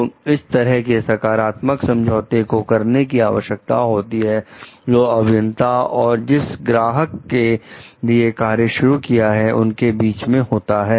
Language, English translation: Hindi, So, these type of positive agreements needs to be done between the engineers and for the clients for whom they start working